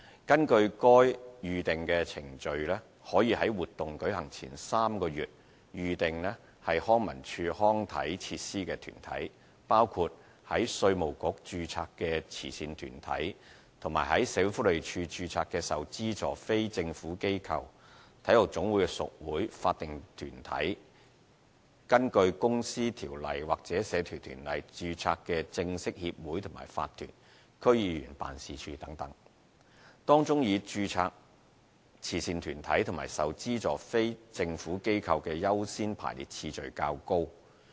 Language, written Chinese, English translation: Cantonese, 根據該《預訂程序》，可以在活動舉行前3個月預訂康文署康體設施的團體，包括在稅務局註冊的慈善團體及在社會福利署註冊的受資助非政府機構、體育總會的屬會、法定團體、根據《公司條例》或《社團條例》註冊的正式協會和法團、區議員辦事處等，當中以註冊慈善團體及受資助非政府機構的優先排列次序較高。, According to the Booking Procedure organizations which are allowed to reserve recreation and sports facilities three months prior to the date of events include charitable organizations registered with the Inland Revenue Department IRD subvented non - governmental organizations NGOs registered with the Social Welfare Department affiliated clubs of National Sports Associations statutory bodies bona fide associations and corporations registered under the Companies Ordinance or the Societies Ordinance offices of District Council members etc with registered charitable organizations and subvented NGOs being accorded a higher priority